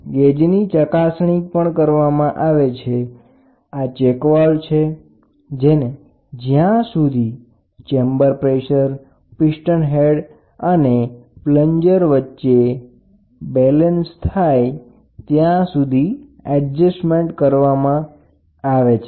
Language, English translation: Gujarati, So, gauge to be tested you see at reading here so, this is a check valve, the check valve is adjusted until there is a proper balance between the chamber pressure piston head and plunger or the displacement pump